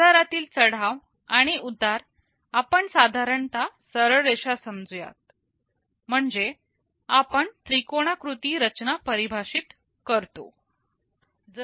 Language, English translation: Marathi, Market rise and market fall we approximate it straight lines that means we define a triangular structure